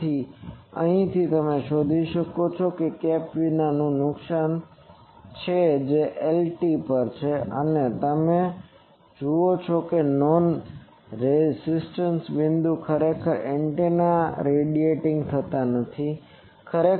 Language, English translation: Gujarati, So, from here you can find out what is the loss in without the cap that is calling Lr and these you see that at a non resonant point actually antenna is not radiating